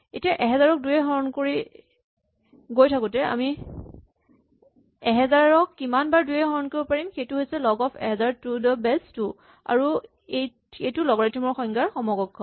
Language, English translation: Assamese, Well, be keep dividing 1000 by 2 how many times can we divide 1000 by 2 that is precisely the log of 1000 to the base 2 and that is an equivalent definition of log